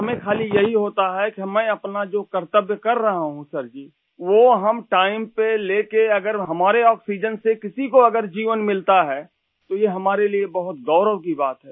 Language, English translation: Hindi, For us, it's just that we are fulfilling our duty…if delivering oxygen on time gives life to someone, it is a matter of great honour for us